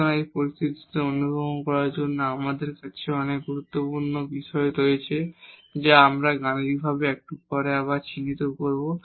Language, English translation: Bengali, So, just to realize this situation here so we have many critical points which we will identify again mathematically little later